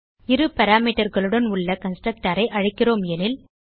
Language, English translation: Tamil, And we are calling a constructor without parameters